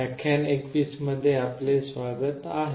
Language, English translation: Marathi, Welcome to lecture 21